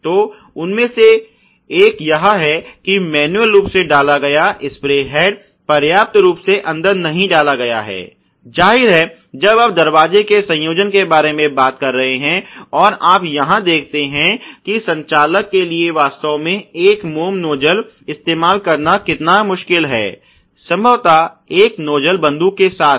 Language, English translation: Hindi, So, one of them is that the manually inserted spray head is not inserted enough; obviously, when you are talking about doors of assembly, and you see here how difficult it is for the operator to actually take a wax nozzles, which may be otherwise you know something like this with a probably a nozzle gun